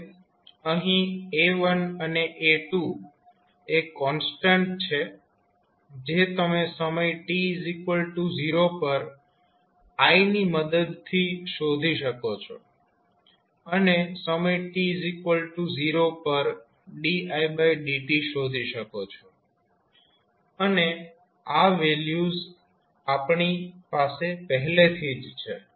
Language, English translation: Gujarati, Now, here a1 and a2 are some constants which you can determine with the help of I at time t is equal to 0 and di by dt at time t is equal to 0 and these values we already have in our hand